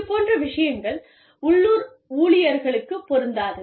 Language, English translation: Tamil, Which will not be the case, with local employees